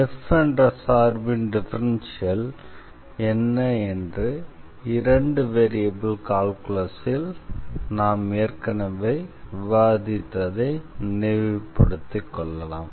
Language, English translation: Tamil, Just to recall what was the differential of the function f x; so, the differential we have discussed already in calculus of two variables